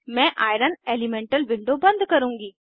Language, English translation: Hindi, I will close Iron elemental window